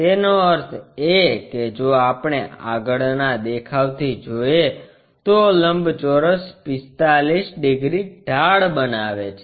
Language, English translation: Gujarati, That means, if we are looking from front view the rectangle is making an angle 45 degrees inclination